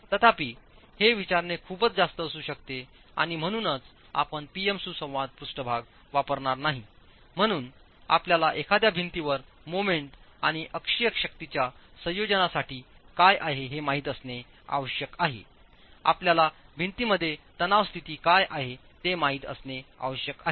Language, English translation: Marathi, However, that may be too much to ask for and therefore since you will not be using a PM interaction surface, you need to know what is the for the combination of moments and axial forces at a given wall, you need to know what is the state of stress in the wall